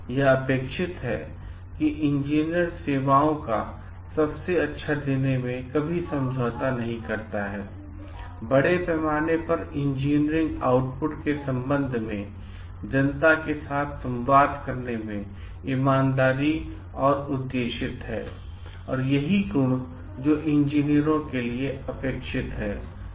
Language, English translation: Hindi, It is expected that the engineer does not compromise in delivering the best of services to be honest and objective in communicating with the public at large with respect to engineering outputs is one of the qualities which are expected for the engineers